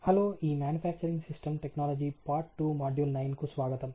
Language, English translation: Telugu, Hello welcome to the manufacturing system part 2 module 9